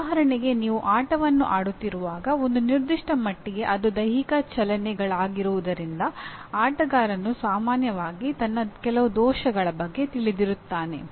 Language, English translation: Kannada, For example when you are playing a game, to a certain extent because it is physical movements a player is generally aware of some of his defects